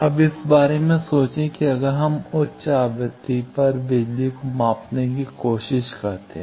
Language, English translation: Hindi, Now, think of that if we try to measure power for at high frequency